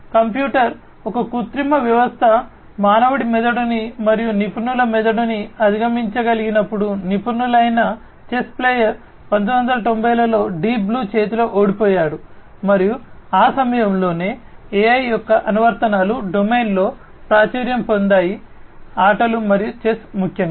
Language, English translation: Telugu, So, the computer so, that was when an artificial system was able to supersede the brain of a human being and an expert brain, an expert chess player was defeated by Deep Blue in 1990s and that is when the applications of AI became popular in the domain of games and chess, particularly